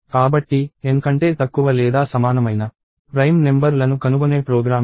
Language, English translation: Telugu, So, this is the program to find out prime numbers less than or equal to N